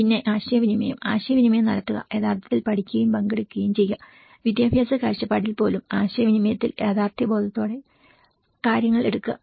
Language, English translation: Malayalam, Then the communication, communicate, educate and participate for the real so, even in the education perspective, in the communication, take things in a realistic way